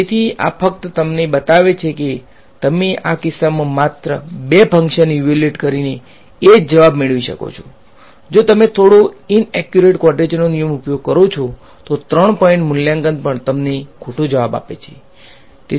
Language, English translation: Gujarati, So, this just shows you that you can get the same answer by having only 2 function evaluations in this case whereas, if you use a slightly inaccurate quadrature rule even a 3 point evaluation gives you the wrong answer ok